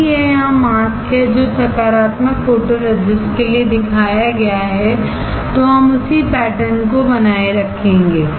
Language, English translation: Hindi, If this is the mask here which is shown for the positive photoresist we will retain the same pattern